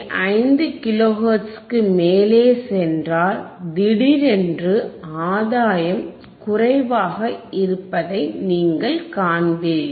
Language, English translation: Tamil, 5 kilo hertz, you will see you will see suddenly that again the gain will be less